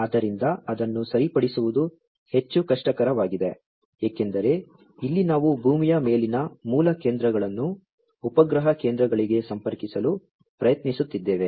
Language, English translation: Kannada, So, you know correcting it is much more difficult, because here we are trying to connect the base stations on the earth to the satellite stations, right